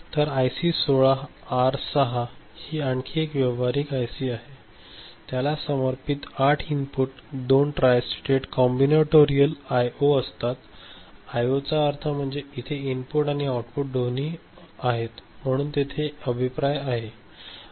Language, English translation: Marathi, So, another practical IC this is PAL IC 16R6, it has got 8 dedicated inputs, 2 tristated combinatorial I O; I O means it is both input and output it can be used, so, there is a feedback there